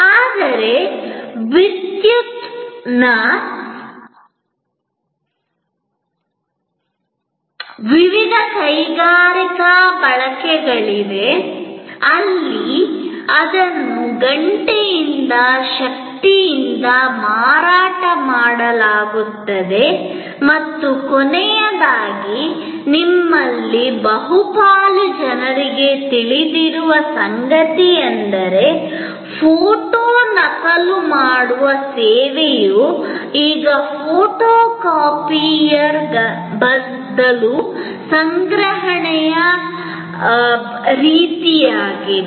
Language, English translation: Kannada, But, there are various industrial usage of power where it is sold by power by hour and lastly, very well known to most of you is that, photo copying service is now norm of procurement instead of photocopiers